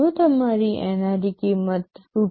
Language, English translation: Gujarati, If your NRE cost is Rs